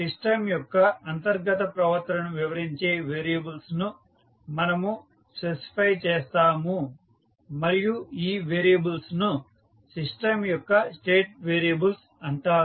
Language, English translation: Telugu, We specify a collection of variables that describe the internal behaviour of the system and these variables are known as state variables of the system